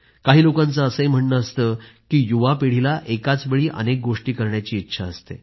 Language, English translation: Marathi, Some people say that the younger generation wants to accomplish a many things at a time